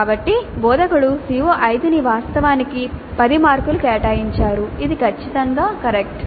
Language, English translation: Telugu, So the instructor has allocated actually 10 marks to CO5 that is perfectly alright